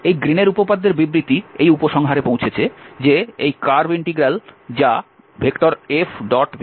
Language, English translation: Bengali, So this is the Green’s theorem, the statement of this Green’s theorem the conclusion that this curve integral which was also can be written as F dot dr